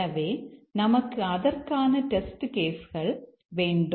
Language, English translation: Tamil, So, you need test cases for those